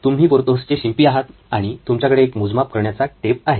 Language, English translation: Marathi, You are Porthos’s tailor and you have a measuring tape at your disposal